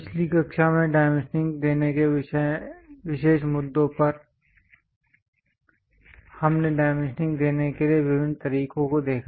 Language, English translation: Hindi, On special issues on dimensioning in the last class we try to look at different ways of dimensioning it